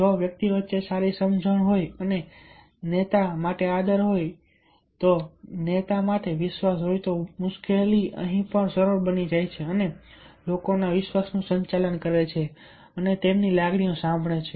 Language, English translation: Gujarati, if the persons having ha good understanding among themselves and having respect for the leader, faith for the leader, then things becomes quite easier, not difficult, and manages peoples face and handles their feelings